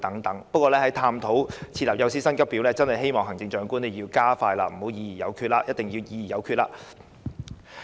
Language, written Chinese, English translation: Cantonese, 不過，在探討設立幼師薪級表方面，希望行政長官要加快進行，必須議而有決。, However regarding the last - mentioned feasibility study I hope that the Chief Executive will speed up the process and definitely make decisions after deliberation